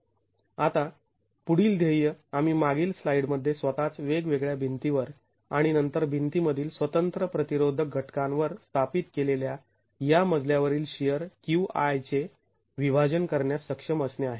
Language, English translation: Marathi, Now, the next goal is to be able to apportion this floor shear QI that we established in the previous slide to the different walls themselves and then to the separate resisting elements within the wall